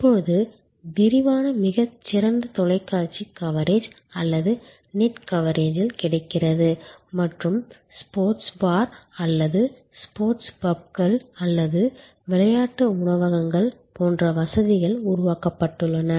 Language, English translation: Tamil, Now, extensive very good television coverage or on the net coverage is available and facilities like sports bar or sports pubs or sport restaurants have been created